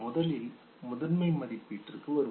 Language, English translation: Tamil, Let us come to primary appraisal first, okay